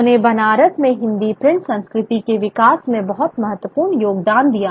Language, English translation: Hindi, He made a very significant contribution to the development of the print culture in Banaras